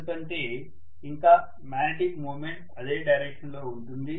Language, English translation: Telugu, The extrinsic magnetic flux is in the same direction